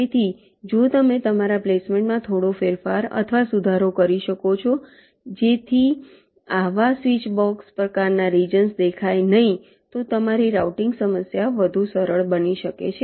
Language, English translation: Gujarati, so if you can change or modify your placement and little bit in such a way that such switchbox kind of regions do not appear, then your routing problem can become simpler